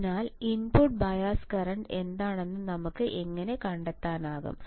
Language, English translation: Malayalam, Hence, what how can we find what is the input bias current